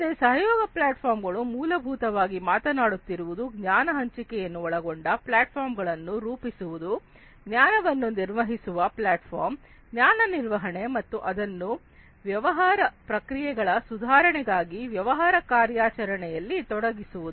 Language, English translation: Kannada, So, collaboration platforms essentially are talking about building platforms that will include in the sharing of knowledge, a platform for managing the knowledge, knowledge management and including it in the business operation for renovation of the business processes and improving upon the efficiency of these business processes in the future